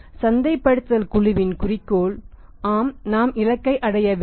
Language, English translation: Tamil, Objective of the marketing team remains that yes we will have to achieve the target